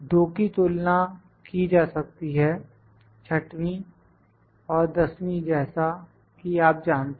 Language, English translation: Hindi, Two can be comparable is the 6th and the 10th you know